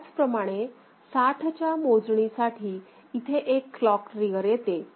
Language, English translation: Marathi, Similarly, for count of 60, one clock trigger comes over here